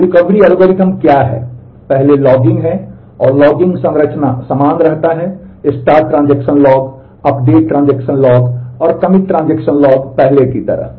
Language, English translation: Hindi, So, what is the recovery algorithm, first is logging and the logging structure remains same; the start transaction log, the update transaction log and the commit transaction log as before